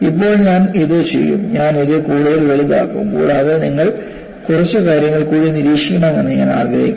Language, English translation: Malayalam, Now, what I will do is, I will magnify this further and I want you to observe a few more things